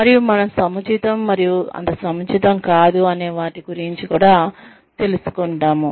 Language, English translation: Telugu, And, what we consider, as appropriate, and not so appropriate